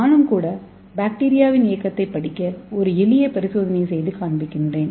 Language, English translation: Tamil, So now I will demonstrate a simple experiment to study the mortality of bacteria